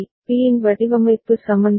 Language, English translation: Tamil, To get the design equations